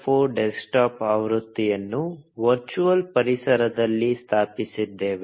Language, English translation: Kannada, 04 desktop edition in a virtual environment